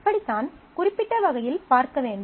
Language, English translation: Tamil, So, that is how this will have to be looked at in specificity